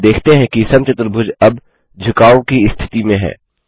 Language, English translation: Hindi, We see that the square is in the tilted position now